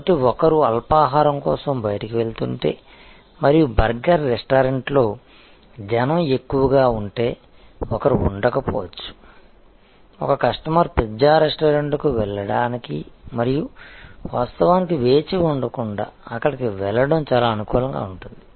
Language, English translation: Telugu, So, if one is going out for snakes and if there is a rush at the burger restaurant, one may not be, one will be quite amenable as a customer to move to a pizza restaurant and not actually wait